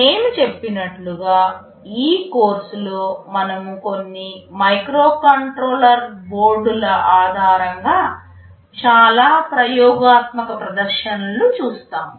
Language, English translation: Telugu, As I said that in this course we shall be looking at a lot of experimental demonstrations based on some microcontroller boards